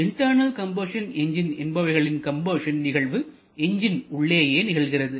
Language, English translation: Tamil, Internal combustion engine refers where this combustion reaction is happening inside the engine itself